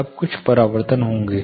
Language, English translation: Hindi, Now there will be reflections happening